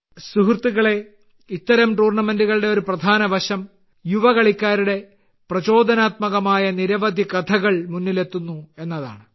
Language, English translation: Malayalam, Friends, a major aspect of such tournaments is that many inspiring stories of young players come to the fore